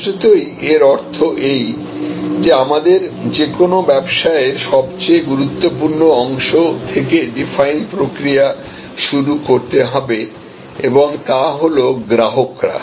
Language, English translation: Bengali, Obviously, it means that we have to start our definition process from the most important part of any business and that is customers